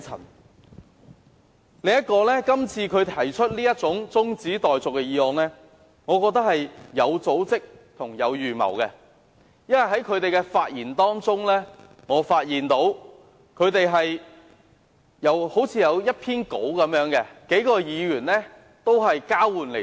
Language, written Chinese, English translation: Cantonese, 另一方面，我認為他今次提出中止待續議案，是有組織和有預謀的，因為我發現他們的發言好像有一篇講稿，由數名議員輪流朗讀。, Moreover I believe his moving of the adjournment motion is an organized and premeditated action as I found that several Members seemed to have a script from which they read out in turn